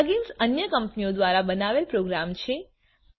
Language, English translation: Gujarati, plug ins are program created by other companies